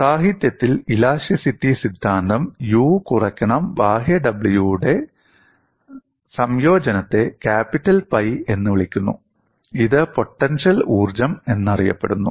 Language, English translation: Malayalam, And in theory of elasticity literature, the combination of U minus W external is termed as capital pi; it is known as potential energy